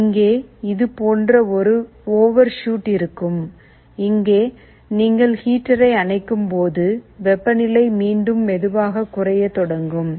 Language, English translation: Tamil, Thus, there will be an overshoot like this here, here and then when you turn off the heater the temperature will again slowly start to go down